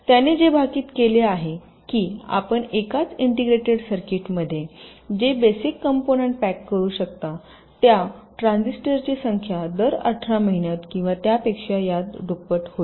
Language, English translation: Marathi, so what you predicted was that, ah, the number of transistors, of the basic components that you can pack inside a single integrated circuit, would be doubling every eighteen months or so